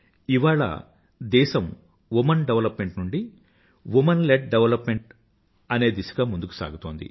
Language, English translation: Telugu, Today the country is moving forward from the path of Women development to womenled development